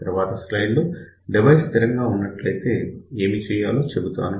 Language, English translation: Telugu, And in in the next slide, I am going to tell you what to do when the device is stable